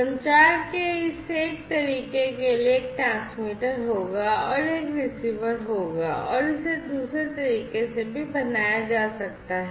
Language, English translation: Hindi, So, for you know for this one way of communication this will be the transmitter this will be the receiver and this could be made the other way as well